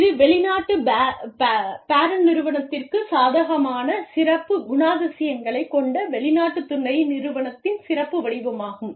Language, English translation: Tamil, It is a special form of foreign subsidiary, with special characteristics, favorable to foreign parents